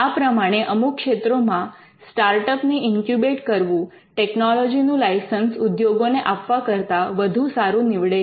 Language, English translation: Gujarati, So, in certain fields of technology incubating startups could be much preferred way than licensing the technology to the industry